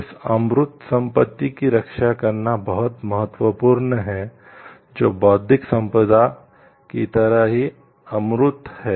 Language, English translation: Hindi, It is very important to protect this intangible property, which is the like in intellectual property is an intangible property